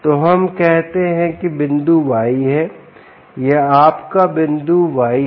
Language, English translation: Hindi, ok, so this, let us say, is point y